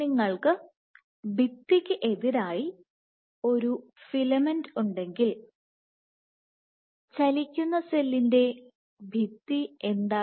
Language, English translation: Malayalam, So, it is obvious that if you have a filament against the wall so, what is the wall in case of a moving cell